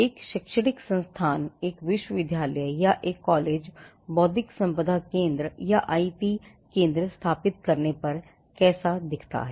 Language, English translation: Hindi, How does an educational institution a university or a college look at setting up intellectual property centres or IP centres